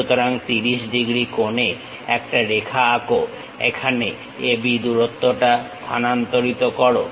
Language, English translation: Bengali, So, draw a line 30 degrees transfer AB length here